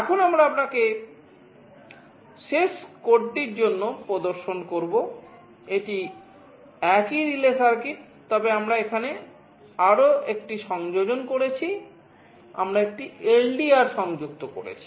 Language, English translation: Bengali, Now, for the last code that we shall be showing you, this is the same relay circuit, but we have made one more addition here, we have connected a LDR